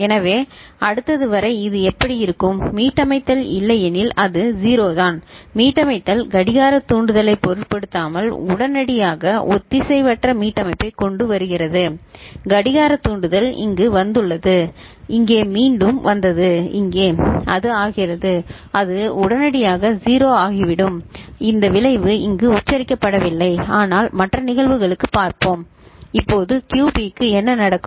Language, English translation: Tamil, So, this is how it would look like till the next you know, reset comes otherwise it is 0 it is there, reset comes asynchronous reset immediately irrespective of the clock trigger, you see the clock trigger comes over here it was here again it comes here, but it becomes it will become immediately 0 this effect is not very pronounced, but will see for the other cases ok